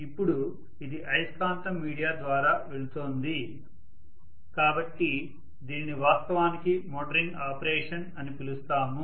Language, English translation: Telugu, Now this is going through magnetic via media, so we will call this as actually the motoring operation